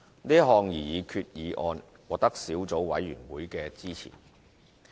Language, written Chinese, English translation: Cantonese, 是項擬議決議案獲得小組委員會支持。, The Subcommittee supports the proposed resolution